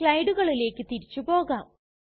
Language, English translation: Malayalam, Now we go back to the slides